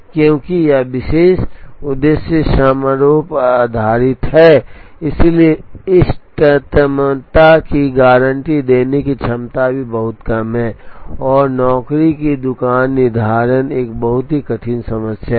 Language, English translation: Hindi, Because, it was based on a particular objective function therefore, the ability to guarantee optimality is also very less, and job shop scheduling is a very hard problem